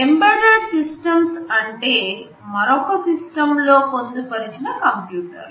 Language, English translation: Telugu, Embedded systems are computers they are embedded within other systems